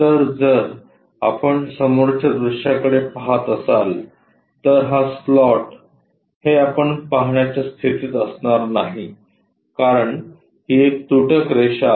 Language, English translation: Marathi, So, if we are looking from front view this slot, we will not be in a position to see that there is a reason this is a dash line